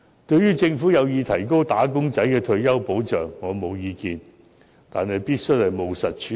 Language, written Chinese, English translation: Cantonese, 對於政府有意提高"打工仔"的退休保障，我沒有意見，但這個問題必須務實處理。, I have no objection to the Governments plan to increase the retirement protection of wage earners but this has to be handled in a pragmatic way